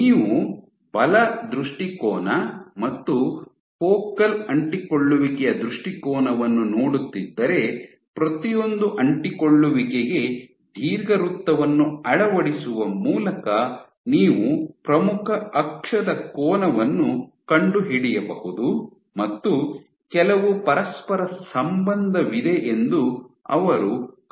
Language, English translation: Kannada, If you were to look at the force orientation and the focal adhesion orientation so, by fitting an ellipse to each of the focal adhesions you can find out the angle of the mac the major axis and they found was even there was some correlation